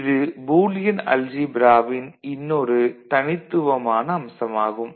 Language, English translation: Tamil, So, that is again one unique thing about a Boolean algebra unlike the ordinary algebra